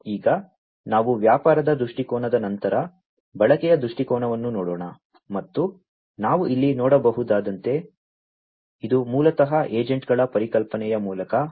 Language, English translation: Kannada, So, let us now after the business viewpoint look at the usage viewpoint and as we can see over here it is basically guided through the concept of the agents